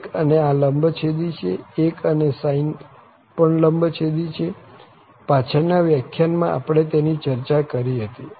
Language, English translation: Gujarati, Since 1 and this are orthogonal here, 1 and the sine are also orthogonal, we have discussed this in previous lecture